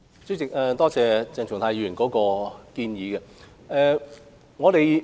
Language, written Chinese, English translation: Cantonese, 主席，多謝鄭松泰議員的建議。, President I thank Dr CHENG Chung - tai for his suggestion